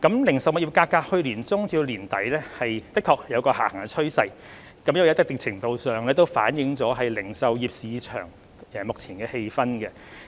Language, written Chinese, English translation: Cantonese, 零售物業價格在去年年中至年底的確有下行趨勢，一定程度上反映零售業市場目前的氣氛。, Indeed a downward trend in the retail property prices was observed in the middle to the end of last year . To a certain extent it reflects the present atmosphere of the retailing market